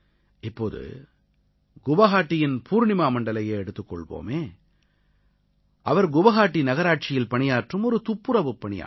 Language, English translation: Tamil, Now take the example of Purnima Mandal of Guwahati, a sanitation worker in Guwahati Municipal Corporation